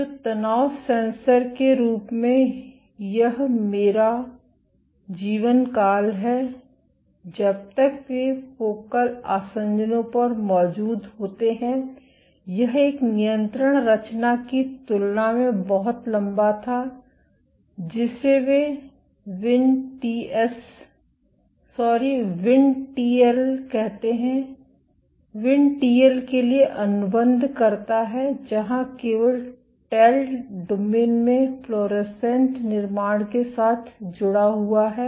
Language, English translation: Hindi, So, of the tension sensor, this is my lifetime how long they exist at focal adhesions this was much longer compared to a control construct, which they call as Vin TS sorry Vin TL contracts for VinTL where only at the tail domain connected with the fluorescent construct